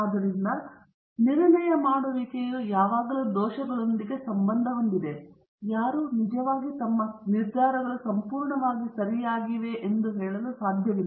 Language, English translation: Kannada, So, the decision making is always associated with the errors; nobody can really say that all their decisions have been completely correct